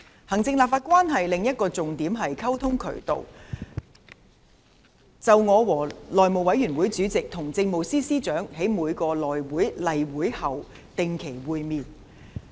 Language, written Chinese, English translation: Cantonese, 行政立法關係的另一個重要溝通渠道，是我和內務委員會副主席與政務司司長在每次內務委員會例會後的定期會面。, Another important communication channel between the executive and the legislature is the regular meeting between me and Deputy Chairman of the House Committee and the Chief Secretary for Administration after the regular meeting of House Committee